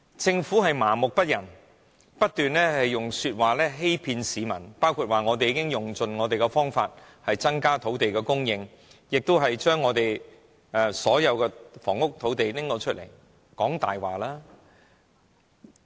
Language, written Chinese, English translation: Cantonese, 政府麻木不仁，不斷欺騙市民說已用盡方法增加土地供應，又說已撥出所有房屋土地，全是謊話。, There is just no guarantee of their safety . The Government is totally indifferent . It continues to deceive the public by saying that it has tried every means to increase land supply and has earmarked all possible land for housing construction